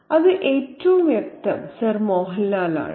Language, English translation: Malayalam, It is most obviously Sir Mohan Lal